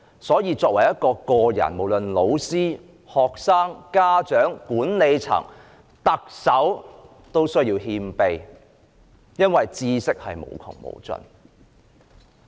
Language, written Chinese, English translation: Cantonese, 所以，作為一個人，無論是老師、學生、家長、管理層或特首，都需要謙卑，因為知識是無窮無盡的。, Therefore as an individual whether we are a teacher a student a parent a manager or the Chief Executive we have to remain humble because knowledge is unlimited and boundless . Simply put diversified education must comprise three elements